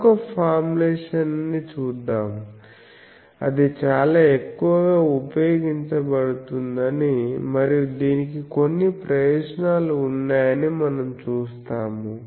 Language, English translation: Telugu, So, this we will see that another formulation is also very much used and that has certain advantages